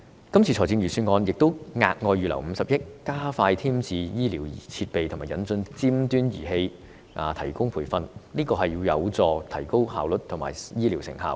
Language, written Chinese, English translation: Cantonese, 今年的預算案亦額外預留50億元，加快添置醫療設備及引進尖端儀器，以及提供培訓，這有助提高效率及醫療成效。, The Budget this year has also earmarked an additional 5 billion for HA to expedite the work in acquiring medical equipment and introducing advanced medical devices as well as providing relevant training . This will be conducive to improving efficiency and medical outcome